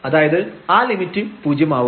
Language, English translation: Malayalam, And the limit x goes to 0